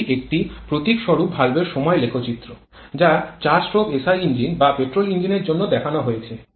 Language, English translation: Bengali, This is a typical valve timing diagram that is shown for a 4 stroke SI engine or petrol engine